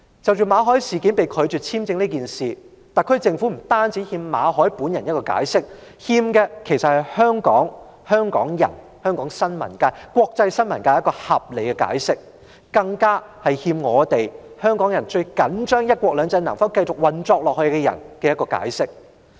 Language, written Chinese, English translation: Cantonese, 至於馬凱被拒發簽證這事，特區政府不但欠馬凱本人一個解釋，還欠香港人、香港新聞界，以及國際新聞界一個合理解釋，更欠最重視"一國兩制"能否繼續運作的人一個解釋。, As for the incident of Victor MALLETs visa application being rejected the SAR Government not only owes MALLET an explanation it also owes Hong Kong people the Hong Kong press and the international press a reasonable explanation . In addition it owes people who attach utmost importance to the continuous implementation of one country two systems an explanation